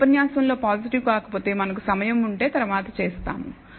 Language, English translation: Telugu, If positive not in this lecture, but if we have the time we will do it later